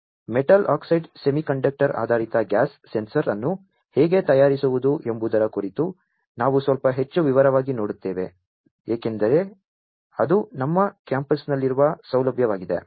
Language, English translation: Kannada, So, we will look at in little bit more detail about how to fabricate a metal oxide semiconductor based gas sensor because that is the facility that, we have in our campus